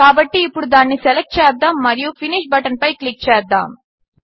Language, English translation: Telugu, So now, let us select it and click on the Finish button